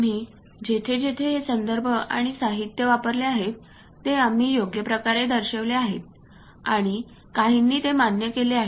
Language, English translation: Marathi, Wherever we have used these references and materials, we have suitably represented and some of them acknowledged also